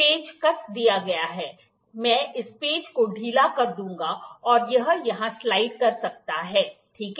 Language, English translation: Hindi, The screw is tightened, I will loosen this screw, and it can slide here, ok